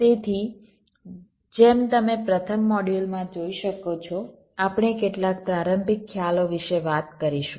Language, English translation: Gujarati, so, as you can see, in the first module we shall be talking about some of the introductory concepts